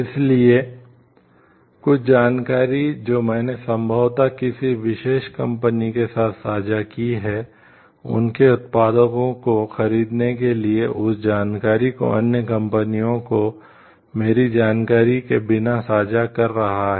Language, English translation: Hindi, So, some information that maybe I have shared with a particular company, for buying its products it is sharing that information without my knowledge to other companies also